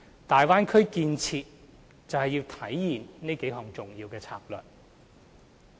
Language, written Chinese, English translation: Cantonese, 大灣區建設就是要體現這數項重要策略。, The development of the Bay Area is oriented to manifest the key strategies above